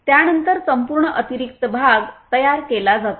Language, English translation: Marathi, After that the complete spare part is produced